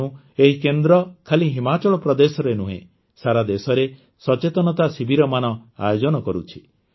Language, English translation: Odia, That's why, this centre organizes awareness camps for patients not only in Himachal Pradesh but across the country